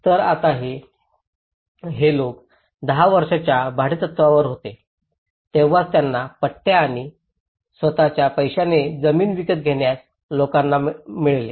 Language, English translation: Marathi, So now, these people were on a lease for 10 years only then they will get the pattas and these people who bought the land with their own money